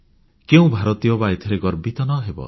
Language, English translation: Odia, Which Indian wouldn't be proud of this